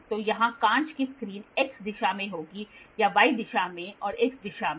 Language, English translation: Hindi, So, glass screen here will be in the x direction, so or in the y direction and in the x direction